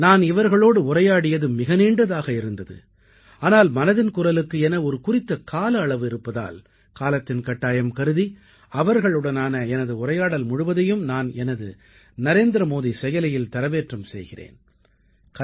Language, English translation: Tamil, When I was talking to them on the phone, it was such a lengthy conversation and then I felt that there is a time limit for 'Mann Ki Baat', so I've decided to upload all the things that we spoke about on my NarendraModiAppyou can definitely listen the entire stories on the app